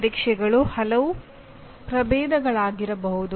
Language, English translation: Kannada, Tests can be many varieties